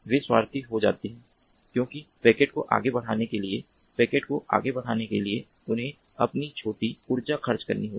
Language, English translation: Hindi, they will tend to be selfish because to forward the packet, to relay the packet forward, they would have to expend their own little energy